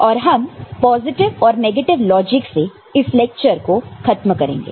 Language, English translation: Hindi, And we shall end with positive and negative logic